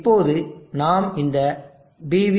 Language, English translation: Tamil, Now I will open this PV